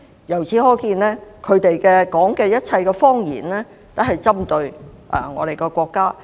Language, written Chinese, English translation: Cantonese, 由此可見，他們所說的一切謊言均針對我們國家。, It can then be seen that all their lies target our country